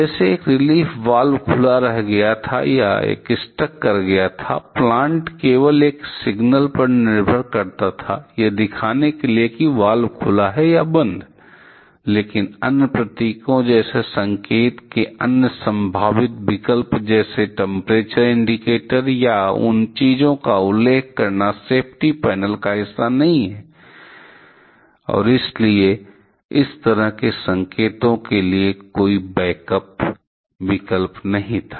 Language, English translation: Hindi, Like was a relief valve was kept open or it was stuck, only one indicator the plant was dependent only one indicator to show that the valve is open or close valve was, but the other symbols like other possible options of indicating the same like the temperature indicator we are mentioning here those things are not part of the safety panel and so there was no backup option corresponding to such kind of signals